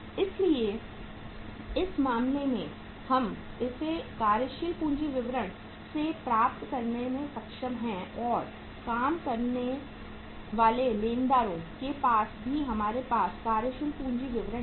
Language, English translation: Hindi, So in this case uh we are able to have it from the working capital statement and sundry creditors also we are going to have from the working capital statement